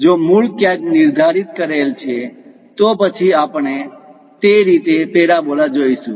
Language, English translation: Gujarati, If origin is somewhere located, then we will see parabola in that way